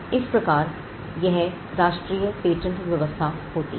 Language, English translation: Hindi, So, this is the national patent regime